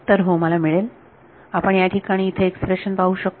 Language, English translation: Marathi, So, I will yeah, we can we can look at this expression over here